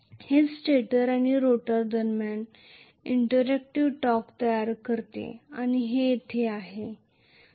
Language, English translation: Marathi, That is what is producing interactive torque finally between stator and rotor and that happens here